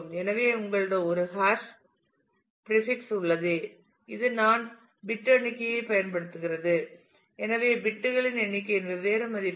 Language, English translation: Tamil, So, you have a hash prefix which is using i number of bits and therefore, different values of i number of bits